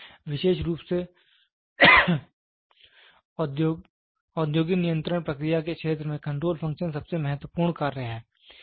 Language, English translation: Hindi, So, control function is most important function especially in the field of industrial control process